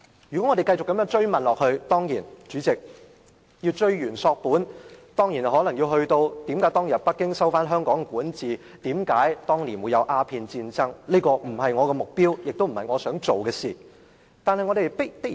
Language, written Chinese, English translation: Cantonese, 如果我們要追源溯本問下去，代理主席，我們可能要問為何當年北京收回香港的管治權，為何當年發生鴉片戰爭，但這不是我的目的，也不是我想做的事情。, Should we trace the timeline of events and raise more and more questions Deputy President we might ask why Beijing recovered jurisdiction over Hong Kong back then or what led to the Opium War . This is not my intention nor what I wish to do